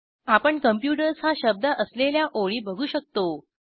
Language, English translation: Marathi, We see the lines with the word computers is displayed